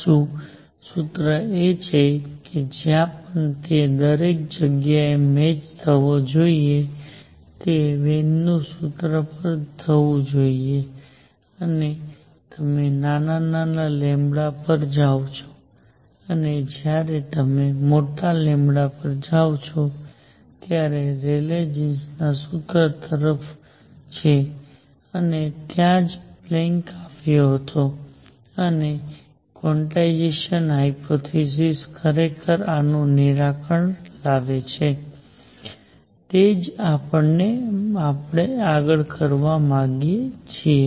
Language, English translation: Gujarati, The true formula is somewhere in between that should match everywhere it should go to Wien’s formula when you go to small lambda and it is toward to Rayleigh jeans formula when you go to large lambda and that is where Planck came in and quantization hypothesis actually resolve this and that is what we want to do next